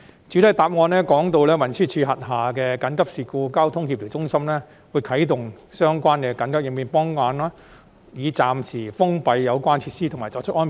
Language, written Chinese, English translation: Cantonese, 主體答覆提到，運輸署轄下的協調中心會啟動相關的緊急應變方案，暫時封閉有關設施和作出安排。, It is mentioned in the main reply that the coordination centre under TD will activate relevant contingency plans to temporarily close the concerned facilities and implement arrangements